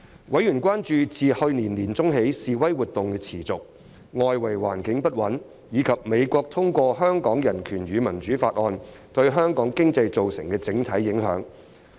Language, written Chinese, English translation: Cantonese, 委員關注自去年年中起示威活動持續，外圍環境不穩，以及美國通過《香港人權與民主法案》對香港經濟造成的整體影響。, Members raised concern about the overall impact on Hong Kong economy arising from the ongoing protests and unstable external environment from mid 2019 onwards as well as the passage of the Hong Kong Human Rights and Democracy Act by the United States